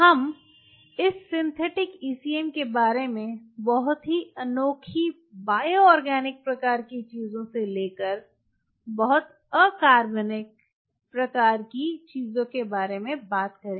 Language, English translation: Hindi, we will talk about this synthetic ecm, from very unique bio organic kind of things to very inorganic kind of things